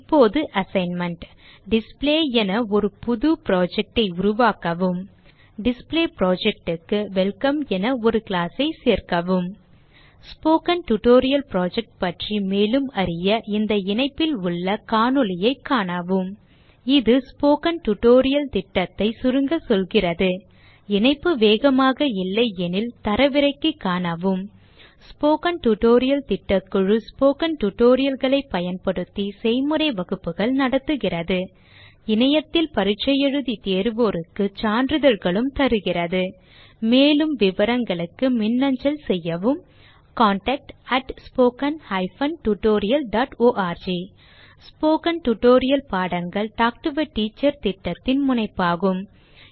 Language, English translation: Tamil, As an assignment for this tutorial, create a new project, by the name Display And add a class to the Display project, by the name Welcome For more information on the Spoken Tutorial Project, watch the video available at the following link It summarises the Spoken Tutorial project If you do not have good bandwidth, you can download and watch it The Spoken Tutorial Project Team Conducts workshops using spoken tutorials Gives certificates for those who pass an online test For more details, please write to contact at spoken hyphen tutorial dot org Spoken Tutorial Project is a part of the Talk to a Teacher project It is supported by the National Mission on Education through ICT, MHRD, Government of India More information on this Mission is available at the following link This tutorial has been contributed by TalentSprint .Thanks for joining.